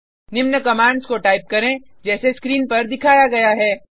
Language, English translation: Hindi, Type the following commands as shown on the screen